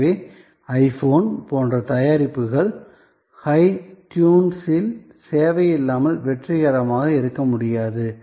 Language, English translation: Tamil, So, the product like an I phone cannot be the successful without the service of hi tunes